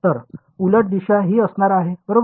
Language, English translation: Marathi, So, the reversed direction is going to be this right